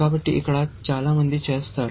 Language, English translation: Telugu, So, here is what many people do